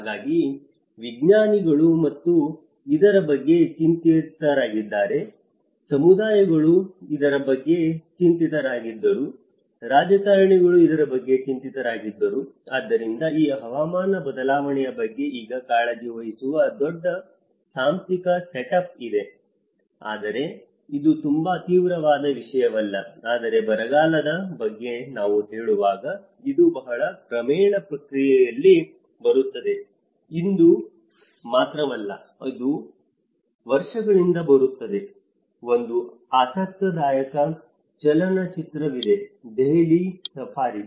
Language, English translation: Kannada, So, the scientists were worried about it, the communities were worried about it, the politicians were worried about it so, there is a big institutional set up which is now concerned about this climate change but it is not a very drastic thing but it is coming in a very gradual process long when we say about drought it is not just today it is happening, it is coming from years and years you know, and there is one interesting film when the Indian film it is called Delhi Safari